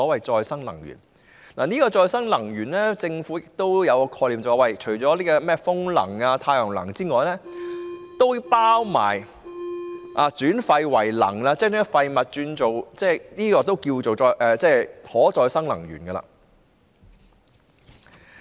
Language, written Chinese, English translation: Cantonese, 就可再生能源，政府也有一種概念，就是除了風能和太陽能外，也包括轉廢為能，即將廢物轉為能源，這也可稱為可再生能源。, As far as renewable energy sources are concerned the Government has also the concept that in addition to wind and solar power they include waste - to - energy conversion which can also be referred to as a renewable energy source